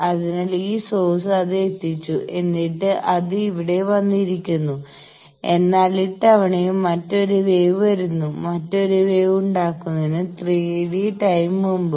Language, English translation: Malayalam, So, this source has delivered and it has come here, but this time also another one is coming, 3 T d time before there was another wave